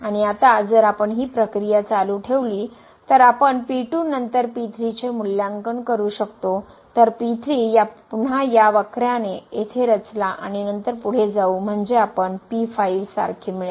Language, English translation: Marathi, And now if we continue this process we can evaluate then , so again we have plotted here with this curve and then going further so we will get like